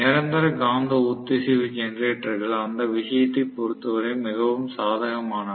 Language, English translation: Tamil, So, permanent magnet synchronous generators are very very advantageous in that sense